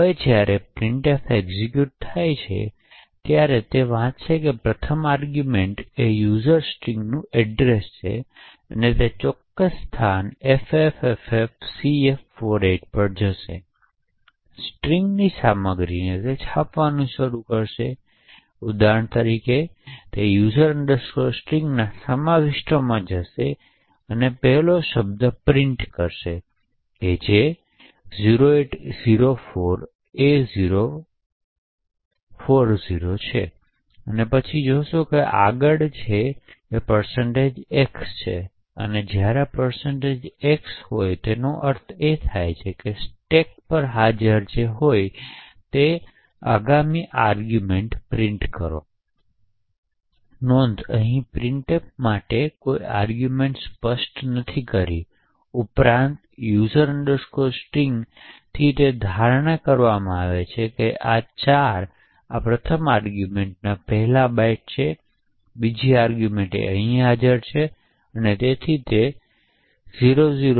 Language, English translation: Gujarati, Now when printf executes what happens is that it would read is first argument that is the address of user string, it would go to that particular location ffffcf48 and start to print the contents of the strings, so for example it would go to the contents of user string print the first word which is 0804a040 and then it would see that the next requirement is a %x, so when there is a %x it would mean that it would take and print the next argument which is present on the stack, note that here we have not to specified any arguments to printf besides user string, right and therefore it is assume that 4 bytes prior to this first argument is where the second argument is present and therefore the display would be 00000000